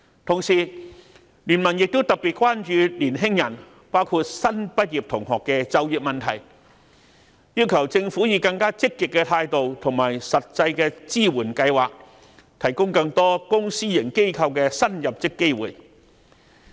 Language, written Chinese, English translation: Cantonese, 同時，經民聯亦特別關注年輕人，包括新畢業同學的就業問題，要求政府以更積極的態度和實際的支援計劃，提供更多公私營機構的新入職機會。, BPA is also particularly concerned about the situation of our young people including the employment prospects of new graduates . We have asked the Government to adopt a more proactive attitude and devise specific support measures to increase job opportunities across public and private sectors